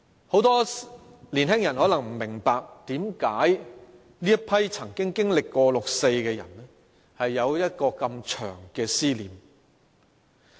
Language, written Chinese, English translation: Cantonese, 很多年青人可能不明白，為何這群曾經經歷六四的人有如此長的思念。, Many youngsters may not understand why this group of people who experienced the 4 June incident have been emotionally attached to it for so long